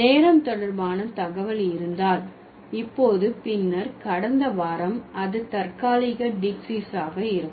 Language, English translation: Tamil, And when we have the information related to time, now, then last week that would be temporal diacis